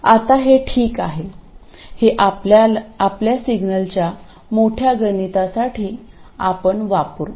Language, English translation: Marathi, Now this is fine, this is in fact what we will use for our large signal calculations